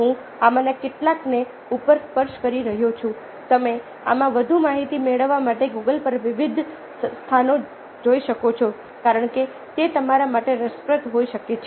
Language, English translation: Gujarati, you can look of different places on google to find more information in these because they might be interesting for you